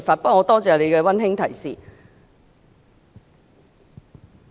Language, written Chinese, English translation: Cantonese, 不過，我感謝你的溫馨提示。, Nevertheless I am grateful to you for your kind reminder